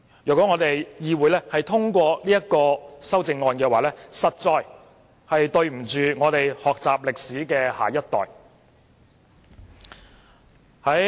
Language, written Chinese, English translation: Cantonese, 如果議會通過此項修正案，實在對不起學習歷史的下一代。, If this Council passes this amendment we are indeed doing a disservice to our next generation in respect of history education